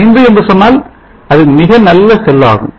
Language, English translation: Tamil, 85 it is a very good cell